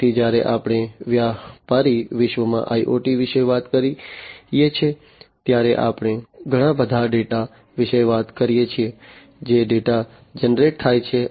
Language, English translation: Gujarati, So, when we talk about IoT in a business world, we are talking about lot of data, data that is generated